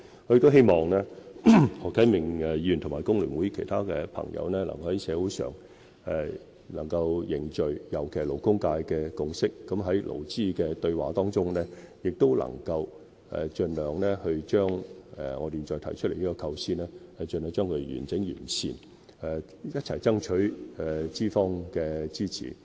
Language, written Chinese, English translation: Cantonese, 我希望何啟明議員及工聯會其他朋友能夠在社會上凝聚共識，尤其是勞工界的共識，在勞資對話中能將我現在提出的構思盡量完整完善，一起爭取資方的支持。, I hope that Mr HO Kai - ming and other friends from FTU can forge a consensus in society particularly in the labour sector and make the ideas currently proposed by me as complete and refined as possible in the dialogue between employers and employees . Let us strive for the support of employers together